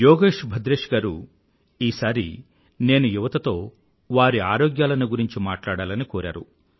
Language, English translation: Telugu, Shriman Yogesh Bhadresha Ji has asked me to speak to the youth concerning their health